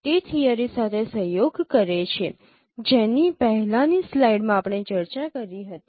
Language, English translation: Gujarati, It corroborates with the theory what we discussed in the previous slide